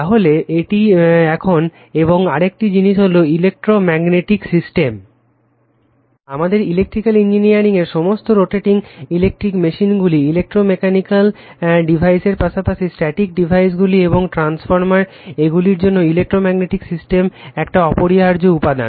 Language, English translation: Bengali, So that is your now and another thing is the electromagnetic system is an essential element of all rotating electrical electric machines in our electrical engineering we see, and electro mechanical devices as well as static devices like transformer right